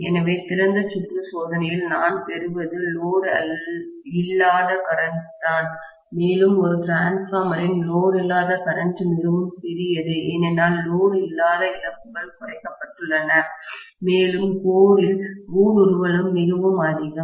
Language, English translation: Tamil, So, what I am getting in the open circuit test is only no load current and as we know the no load current of a transformer is really really small because of the no load loss has been decreased and also the permeability of the core being very high